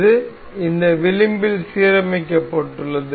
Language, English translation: Tamil, So, this is aligned with this edge